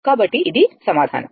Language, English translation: Telugu, So, this is answer